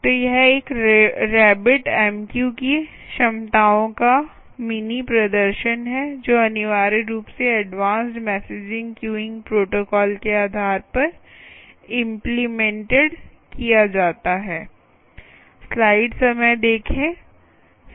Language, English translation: Hindi, so this is a mini demonstration of the capabilities of a rabbit mq which essentially is implemented based on the advanced messaging queuing protocol